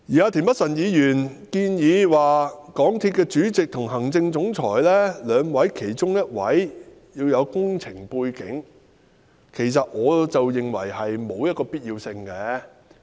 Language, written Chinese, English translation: Cantonese, 至於田北辰議員建議港鐵公司主席及行政總裁兩位的其中一位應具備工程背景，其實我認為並沒有此必要。, As regards Mr Michael TIENs proposal that either the Chairman or the Chief Executive Officer of MTRCL should have an engineering background I do not think that it is necessary